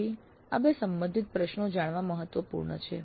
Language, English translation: Gujarati, So it is important to know these two related questions